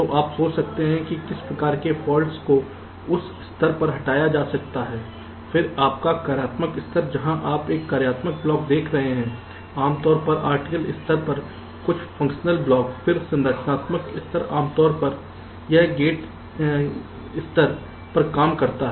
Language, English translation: Hindi, then your functional level, where you are looking a the functional blocks, some of the funtional blocks at the rtl level typically, then structural level, typically this works at the gate level